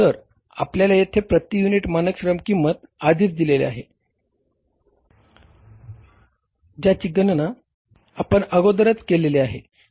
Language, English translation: Marathi, So, we are given here standard unit labor cost we have already calculated